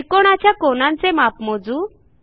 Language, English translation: Marathi, We see that the angles are measured